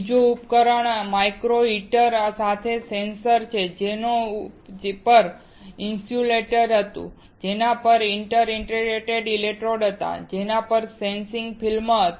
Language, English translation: Gujarati, Second device is a sensor with a micro heater, on which was an insulator, on which were inter digitated electrodes, on which was sensing film